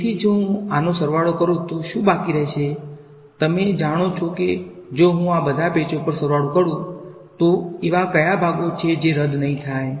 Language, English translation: Gujarati, So, what will I be left with if I sum it up over this you know if I sum it up over all of these patches, what are the parts that will not cancel